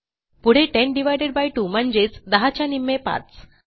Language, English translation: Marathi, Next, 10 divided by 2 is just half of 10 which is 5